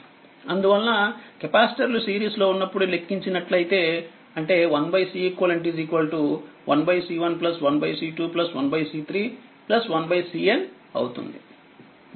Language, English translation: Telugu, Therefore 1 upon Ceq when capacitors are in series, it is 1 upon C 1 plus 1 upon C 2 plus 1 upon C 3 plus 1 upon C N right